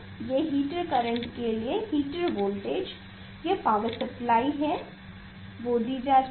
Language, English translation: Hindi, heater current heater voltage is given it is power is given